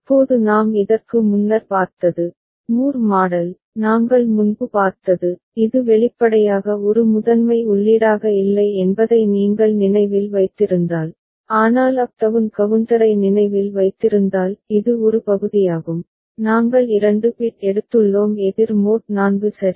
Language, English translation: Tamil, Now we had seen such circuit before, Moore model we have seen before, if you remember though it was not explicitly a primary input as such, but if you remember the up down counter this is a section of it just we have taken 2 bit counter so mod 4 right